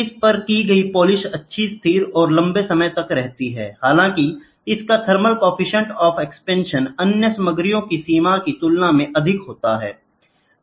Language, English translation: Hindi, It takes good polish is stable and last longer; however, it is higher thermal coefficient of expansion compared to the other materials limits is used